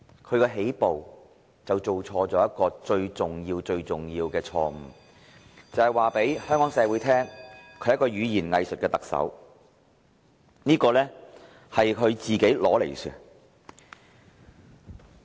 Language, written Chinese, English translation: Cantonese, 他一起步便犯了最重要、最重要的錯誤，便是告訴香港社會他是一名語言"偽術"的特首，這是他活該的。, He committed the most serious and crucial mistake right at the beginning that is telling Hong Kong society that he was a Chief Executive of double - talk . Serve him right